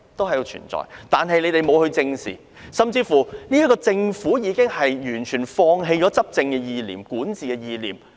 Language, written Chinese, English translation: Cantonese, 可是，他們不但沒有正視，連政府亦已完全放棄了執政或管治的意念。, However not only have they failed to face the matter squarely even the Government has completely given up the concept of administration or governance